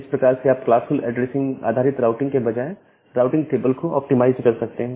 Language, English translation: Hindi, That way you can optimize the routing table, rather than having this routing based on classful addressing